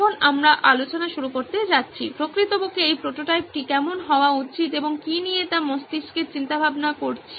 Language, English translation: Bengali, Now we are going to start with discussing, in fact brainstorming how this prototype should be, what